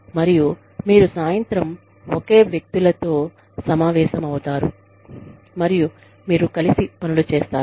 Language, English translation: Telugu, And, you hang out with the same people, in the evening, and you do things together